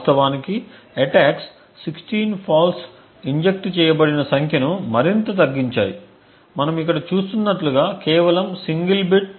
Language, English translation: Telugu, In fact the attacks have further reduced the number of false injected from 16 faults as we have seen over here to just a single fault